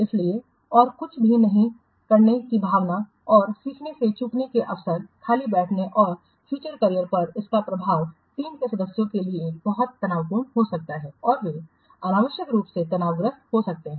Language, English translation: Hindi, So the feeling of not doing anything challenging and missing out on the learning opportunity, sitting ideal and impact of these on the future career can be very stressful for the team members and they will be unnecessarily stressed